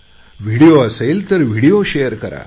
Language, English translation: Marathi, If it is a video, then share the video